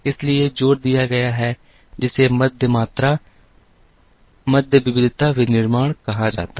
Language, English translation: Hindi, So, the emphasis moved towards what are called mid volume mid variety manufacturing